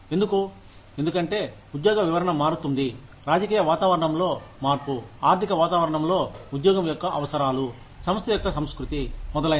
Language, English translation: Telugu, Why because, the job description is going to change, whether the change in the political environment, economic environment, requirements of the job, culture of the organization, etcetera